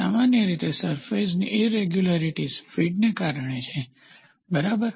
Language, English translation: Gujarati, So, generally the surface irregularities are because of feed, ok